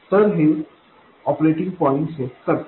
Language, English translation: Marathi, So, this sets the operating point